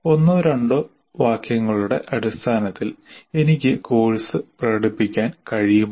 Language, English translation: Malayalam, Can I express the course in terms of one or two sentences